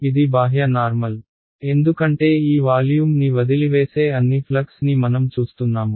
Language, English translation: Telugu, n 1 right this is the outward normal, because I am looking at all the flux that is leaving this volume